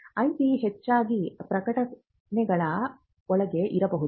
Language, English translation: Kannada, IP could most likely be within publications as well